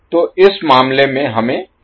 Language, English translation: Hindi, So, in this case, we need to find out the value of v naught